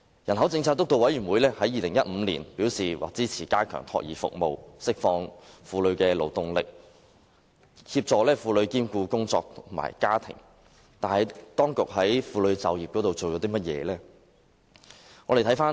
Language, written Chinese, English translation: Cantonese, 人口政策督導委員會於2015年表示支持加強託兒服務，以釋放婦女勞動力，協助婦女兼顧工作與家庭，但當局在婦女就業方面做了甚麼？, In 2015 the Steering Committee on Population Policy expressed support for strengthening child care services to unleash women workforce and assist women in fulfilling work and family commitments . What has the Administration done with regard to womens employment?